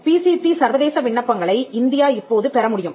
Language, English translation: Tamil, India can receive international PCT applications